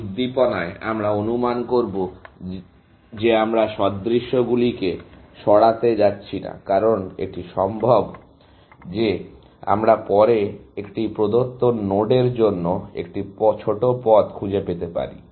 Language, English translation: Bengali, In this stimulation, we will assume that we are not going to remove duplicates, essentially, because it is possible that we may later find a shorter path, to a given node, essentially